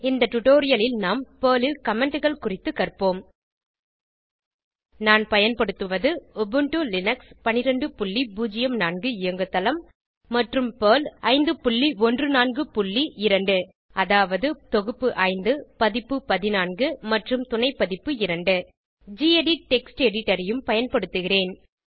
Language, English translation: Tamil, In this tutorial, we will learn about Comments in Perl I am using Ubuntu Linux12.04 operating system and Perl 5.14.2 that is, Perl revision 5 version 14 and subversion 2 I will also be using the gedit Text Editor